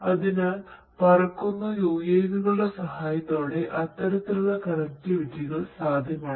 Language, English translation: Malayalam, So, you know offering that kind of connectivity is possible with the help of flying UAVs